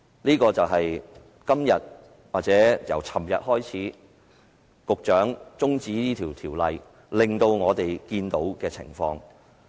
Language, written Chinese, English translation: Cantonese, 這便是由昨天局長提出中止審議《條例草案》開始，我們所看到的情況。, This is what we have observed since the Secretary moved a motion to adjourn the scrutiny of the Bill yesterday